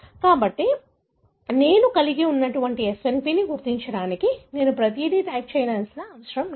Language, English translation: Telugu, So, to identify what SNP I could have, I need not type everything